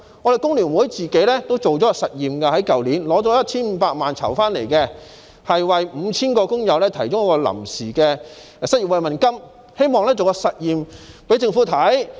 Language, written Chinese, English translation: Cantonese, 工聯會去年進行了一項實驗，用籌得的 1,500 萬元為 5,000 名工友提供臨時失業慰問金，希望做實驗給政府看。, Last year FTU conducted an experiment using the 15 million raised to provide temporary unemployment relief to 5 000 workers in an attempt to show the Government what can be done